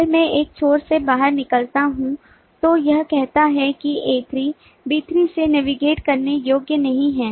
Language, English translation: Hindi, if i cross out on one end, then it says that a3 is not navigable from b3